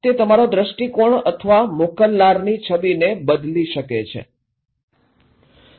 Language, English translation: Gujarati, That may change your perception or the image of the sender